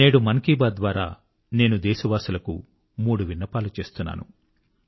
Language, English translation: Telugu, Today, through the 'Mann Ki Baat' programme, I am entreating 3 requests to the fellow countrymen